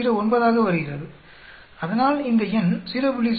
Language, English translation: Tamil, 09, so this number is much larger than 0